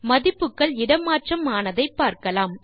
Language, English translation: Tamil, We see that the values are swapped